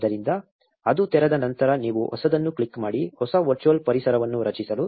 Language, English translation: Kannada, So, once it opens you just click on new; to create a new virtual environment